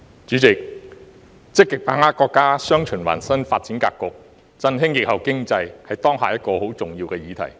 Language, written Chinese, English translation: Cantonese, 主席，"積極把握國家'雙循環'新發展格局，振興疫後經濟"，是當下一個很重要的議題。, President Actively seizing the opportunities arising from the countrys new development pattern featuring dual circulation to revitalize the post - pandemic economy is a very important issue at the moment